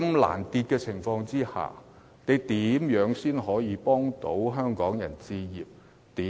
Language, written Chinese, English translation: Cantonese, 在此情況下，政府如何協助香港人置業？, Under such circumstances how will the Government help Hong Kong people achieve home ownership?